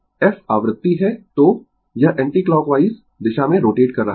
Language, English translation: Hindi, F is the frequency so; it is rotating in the anticlockwise direction